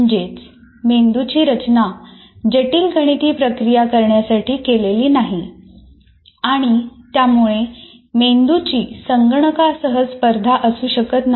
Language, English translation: Marathi, So brain is not designed to perform complex mathematical operations and cannot be in competition with the computer